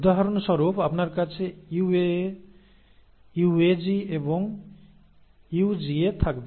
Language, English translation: Bengali, For example you will have UAA, UAG and then UGA